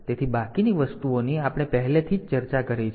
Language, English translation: Gujarati, So, rest of thing we have already discussed